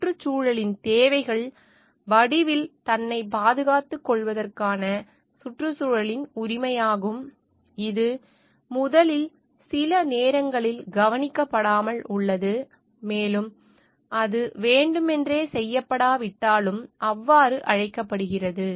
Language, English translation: Tamil, The needs of the environment are the right of the environment for protecting itself in at the form, it is originally there is sometimes overlooked, and that is called so though not intentionally done